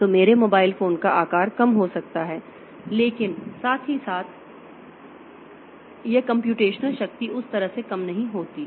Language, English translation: Hindi, So, my mobile phone size can go down and but at the same time it is computational power does not decrease that way